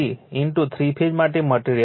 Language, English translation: Gujarati, 333 into material for the three phase